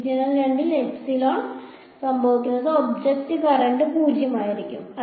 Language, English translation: Malayalam, In the region 2 what will happen epsilon will be of the object current will be 0